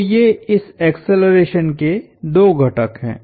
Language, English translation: Hindi, So, these are the two components of this acceleration